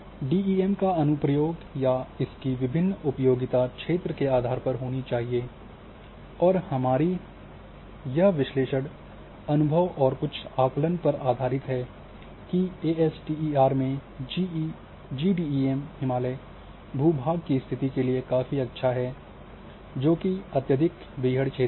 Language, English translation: Hindi, So, depending on the terrain our application or utilization of different DEMs should be there, and this is our own assessment through experience and some analysis that aster in GDEM is quite good for Himalaya n conditions like Himalaya n terrain or terrain which is highly rugged